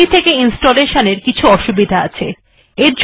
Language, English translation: Bengali, There is some difficulty in installing it from the CD